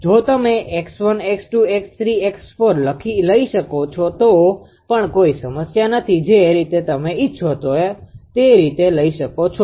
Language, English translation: Gujarati, If you can take this is x 1, x 2, x 3, x 4 also no problem the way what you can take this way right